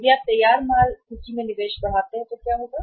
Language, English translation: Hindi, And if you increase the investment in the finished goods inventory so what will happen